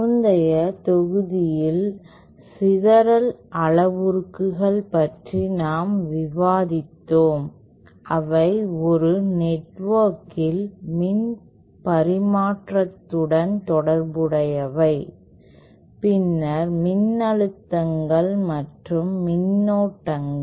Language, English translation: Tamil, In the previous module we had discussed about scattering parameters and we saw that they are related to the power transmission in a network that is then voltages and currents